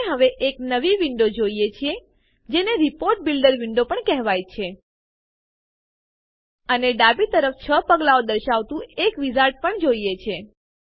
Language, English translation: Gujarati, We now see a new window which is also called the Report Builder window, and we also see a wizard with 6 steps listed on the left hand side